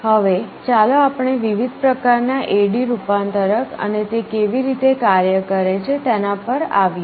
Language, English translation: Gujarati, Now let us come to the different types of A/D converter and how they work